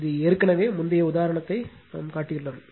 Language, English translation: Tamil, This already we have shown it previous example